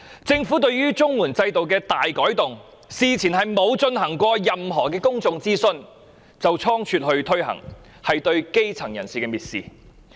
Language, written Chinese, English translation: Cantonese, 政府對於綜援制度的大改動，事前沒有進行任何公眾諮詢便倉卒推行，是藐視基層人士。, The Government has shown sheer contempt for the grass roots in making the drastic change to the CSSA system hastily without any prior public consultation